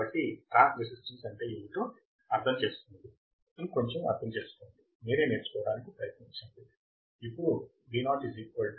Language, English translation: Telugu, So, understand what is transresistance, understand something, try to learn by yourself as well